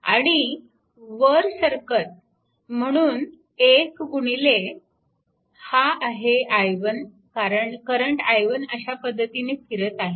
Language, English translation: Marathi, And going upward, so 1 into and this is your i 1 because current i 1 moving like this, so i 2 minus i 1 right